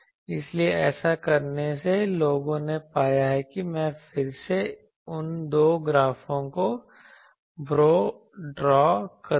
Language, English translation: Hindi, So, that is people done and by doing that people have found that I will again draw those two graphs